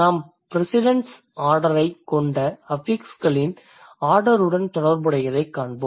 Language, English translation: Tamil, Then we'll see related to the order of affixes, we have the precedence order